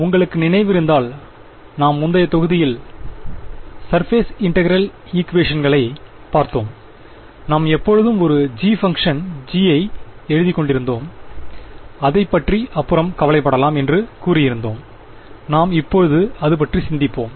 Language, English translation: Tamil, If you remember in the previous modules, we looked at the surface integral equations, we kept writing a g a function g and we said that we will worry about it later, now is when we worry about it right